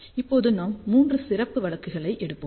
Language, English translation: Tamil, Now, we will take three special cases